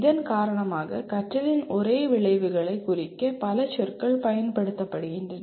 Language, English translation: Tamil, Because of that several words are used to represent the same outcomes of learning